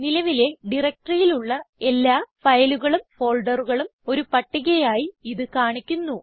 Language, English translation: Malayalam, You can see it lists all the files and folders in the current working directory